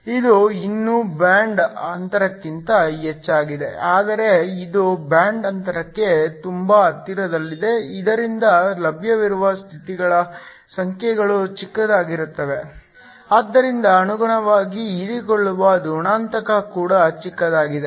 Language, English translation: Kannada, This is still above the band gap, but it is very close to the band gap so that the numbers of available states are small, so correspondingly the absorption coefficient is also small